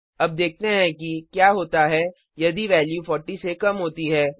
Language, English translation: Hindi, Let us see what happens if the value is less than 40